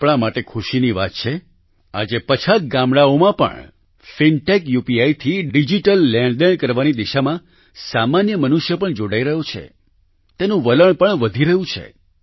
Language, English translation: Gujarati, It is matter of delight for us that even in villages, the common person is getting connected in the direction of digital transactions through fintech UPI… its prevalence has begun increasing